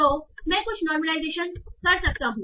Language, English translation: Hindi, So I should be able to do some normalization